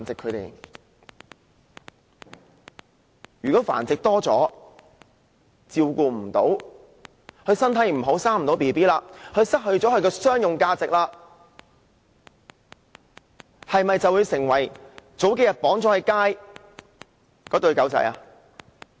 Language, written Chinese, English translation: Cantonese, 如果狗隻繁殖次數太多，獲得的照顧不夠，身體不好無法再生育，失去商業價值，會否成為數天前被綁在街上的一對狗隻？, If a dog that has bred too many times does not receive enough care and is thus rendered unhealthy and unable to breed anymore it will lose its commercial value; in that case will it suffer the same fate as the pair of dogs tied in the street a few days ago?